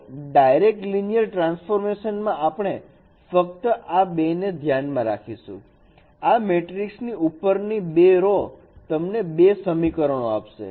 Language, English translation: Gujarati, So in the direct linear transformation we can consider only this two first two rows of this matrix that is giving you the two equations